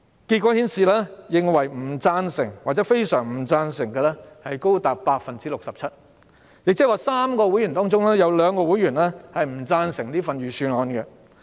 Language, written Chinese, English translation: Cantonese, 結果顯示，不贊成或非常不贊成的人數高達 67%， 即每3名會員，便有兩名會員不贊成這份預算案。, It turned out that the number of people choosing disagree or strongly disagree reached 67 % . That means two out of every three members disagreed to this Budget